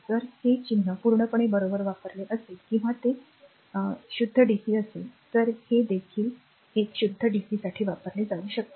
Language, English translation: Marathi, So, if you use this symbol also absolutely correct or if it is a pure dc then this one this one also can be used for a pure dc